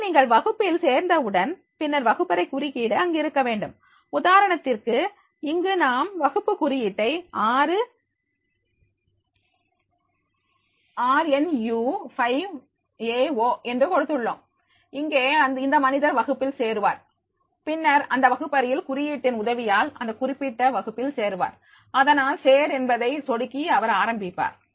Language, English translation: Tamil, So as soon as you will join the class, then the classroom code has to be there, for example here we have given this class code 6rnu5aO, here the person will join the class and then he will be getting that is the with the help of the classroom code, he will join to the that particular class, so therefore he will click on the join and he will start